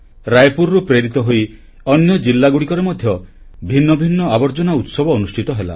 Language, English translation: Odia, Raipur inspired various types of such garbage or trash festivals in other districts too